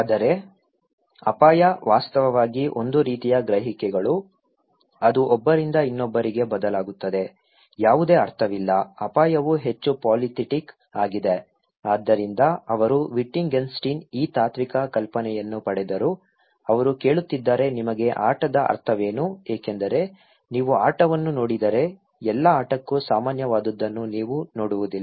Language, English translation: Kannada, But he is arguing that risk is more than that risk actually a kind of perceptions, it varies from one person to another, there is no one meaning, risk is more polythetic, so he got this philosophical idea okay, from Wittgenstein, he is asking that to for you what is the meaning of a game okay, for if you look at the game, you will not see something that is common to all game